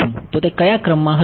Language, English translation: Gujarati, What order will it be